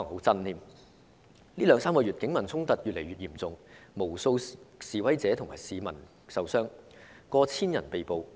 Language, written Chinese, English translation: Cantonese, 這兩三個月的警民衝突越來越嚴重，導致無數示威者和市民受傷，以及逾千人被捕。, The clashes between the Police and the people have grown increasingly serious resulting in the injuries of numerous protesters and citizens as well as the arrests of more than one thousand people